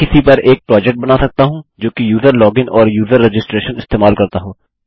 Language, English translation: Hindi, I might create a project on something that uses a user login and user registration